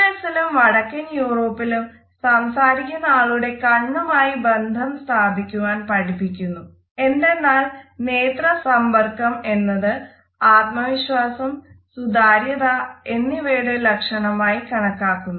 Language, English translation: Malayalam, Where is in the US and in northern Europe, listeners are encouraged to look directly into the eyes of the speaker because this direct eye contact is considered to be a sign of confidence and openness